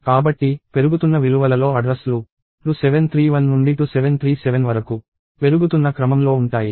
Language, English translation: Telugu, So, the addresses are going from 2731 down to 2737 in increasing values